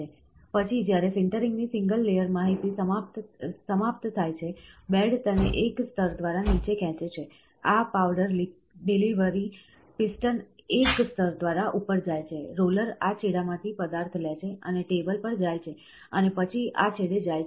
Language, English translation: Gujarati, In the next time, when the single layer information of sintering is over, the bed pulls it down by a single layer, this powdered delivery piston goes up by a single layer, the roller takes the material from this extreme end and moves to the table and then goes to this extreme end, ok, so, this extreme end